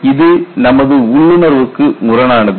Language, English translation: Tamil, This is contradictory to our intuition